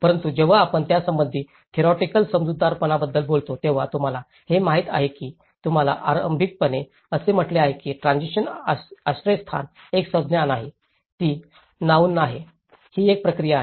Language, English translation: Marathi, But when you talk about the theoretical understanding of it, you know as I said you in the beginning transition shelter is not a noun, it is a verb, it is a process